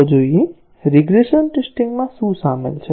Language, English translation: Gujarati, Let us see, what is involved in regression testing